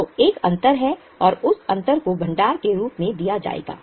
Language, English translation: Hindi, That difference will be given in the form of reserves